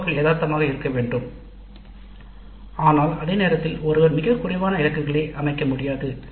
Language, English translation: Tamil, The COs must be realistic but at the same time one cannot set targets which are too low